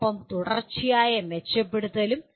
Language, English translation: Malayalam, And continuous improvement